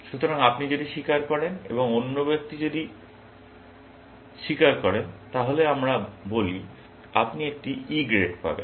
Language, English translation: Bengali, So, if you confess and if the other person confesses, let us say, you get a E grade